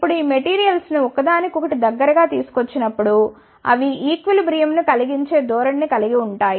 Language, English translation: Telugu, Now, when these materials are brought close to each other they have a tendency to make a equilibrium